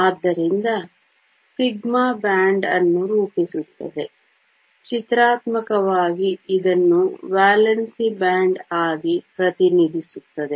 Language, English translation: Kannada, So, sigma forms a band; in pictorially represent this as the valence band